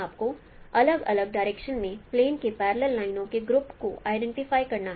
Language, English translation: Hindi, You have to identify groups of sets of parallel lines in a plane at different directions